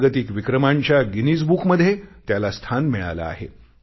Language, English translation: Marathi, This effort also found a mention in the Guinness book of World Records